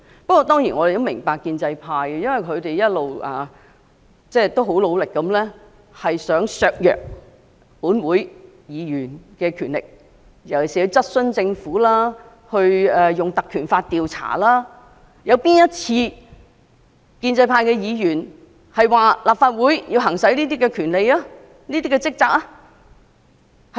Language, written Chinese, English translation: Cantonese, 我們當然也明白，建制派一直努力削弱本會議員的權力，特別是在質詢政府及以《立法會條例》調查政府方面，建制派議員可曾支持立法會行使相關職權和職責？, Certainly we also understand that the pro - establishment camp has been trying hard to weaken the powers of Legislative Council Members . In particular in respect of questioning and investigating the Government by invoking the Legislative Council Ordinance have pro - establishment Members ever supported the Legislative Council to exercise its powers and perform its duties?